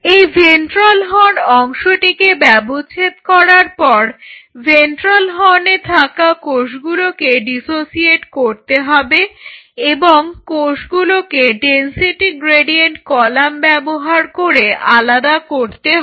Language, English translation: Bengali, And once you dissect out this part which is called the ventral horn then you dissociate the cells of ventral horn and these cells then are being separated using density gradient column